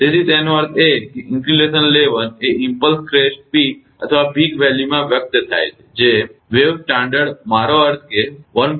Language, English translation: Gujarati, So; that means, insulation level expressed in impulse crest peak or peak value, which is standard wave not longer than this one, i mean 1